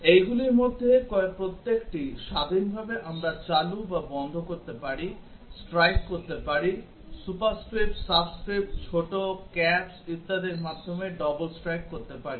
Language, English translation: Bengali, Each of these independently of the other we can switch on or off, strike through, double strike through superscript, subscript, small, caps and so on